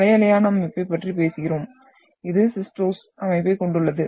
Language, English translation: Tamil, So this is what we are talking about the for wavy texture and this we are having the sistose texture